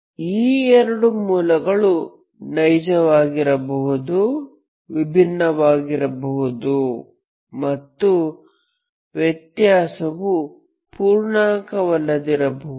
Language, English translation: Kannada, Those two roots if they are real, if they are distinct, the difference is non integer